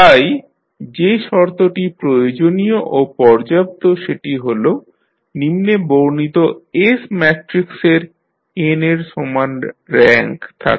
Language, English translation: Bengali, So, the condition is necessary and sufficient that the following S matrix has the rank equal to n